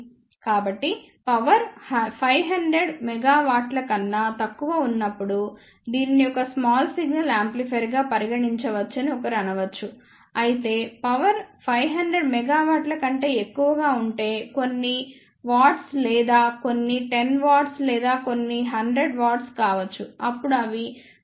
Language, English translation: Telugu, So, when the power is less than 500 milliwatt then one may say that this can be considered as a small signal amplifier however, if the power is greater than 500 milliwatt may be few watts or few 10s of watt or few 100s of watt then they can be considered as power amplifiers